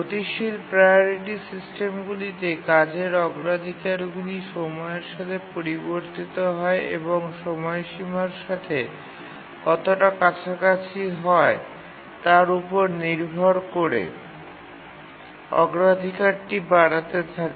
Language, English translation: Bengali, In the dynamic priority systems, the priorities of the tasks keep on changing with time depending on how close there to the deadline the priority keeps increasing